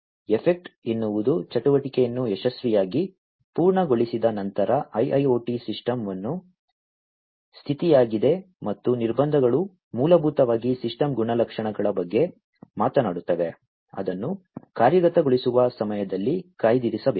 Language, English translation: Kannada, Effect is the state of the IIoT system after successful completion of an activity and constraints basically talk about the system characteristics, which must be reserved during the execution